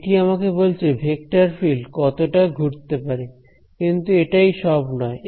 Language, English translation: Bengali, So, it is telling me how much a vector field swirls, but that is not all